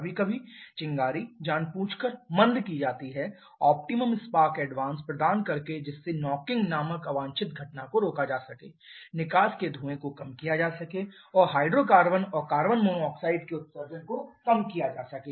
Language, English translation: Hindi, Occasionally spark is intentionally retarded by providing at the optimal spark advance in order to avoid a knocking kind of undesirable phenomenon to reduce the exhaust smoke and also to reduce the emission of hydrocarbons and carbon monoxide